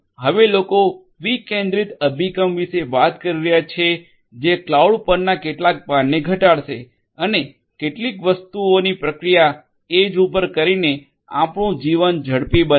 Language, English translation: Gujarati, Now people are talking about decentralized approach that will decrease some of the load on the cloud and will also makes our lives faster by processing certain things at the edge